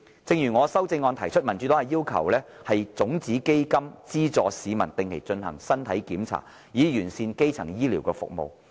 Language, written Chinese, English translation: Cantonese, 正如我的修正案提出，民主黨要求設立種子基金資助市民定期進行身體檢查，以完善基層醫療服務。, As proposed in my amendment the Democratic Party calls for the setting up of a seed fund to subsidize the public to undergo regular physical check - ups and hence perfecting the primary healthcare services